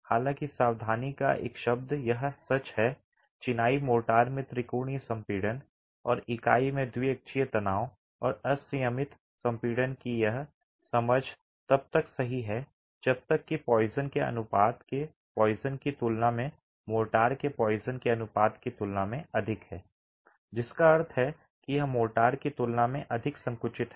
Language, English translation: Hindi, However, a word of caution, this is true, this understanding of triaxial compression in the masonry mortar and the biaxial tension and uniaxial compression in the unit is true as long as the poisons ratio of the motor higher than the poisons ratio of the unit, meaning this unit is more compressible than the motor